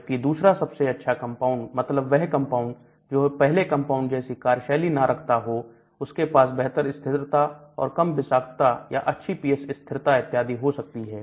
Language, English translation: Hindi, Whereas a second best compound, that means compound which is not as active the first one may have better stability or less toxicity or better pH stability and so on actually